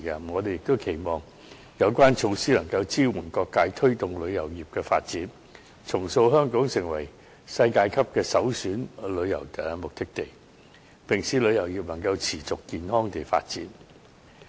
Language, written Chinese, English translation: Cantonese, 我們亦期望有關措施能支援各界推動旅遊業的發展，重塑香港成為世界級的首選旅遊目的地，並使旅遊業能持續健康地發展。, We also hope that these measures will empower various sectors to facilitate the development of the tourism industry and reshape the image of Hong Kong as a world - class tourist destination of choice and ensure the sustainable and healthy development of the tourism industry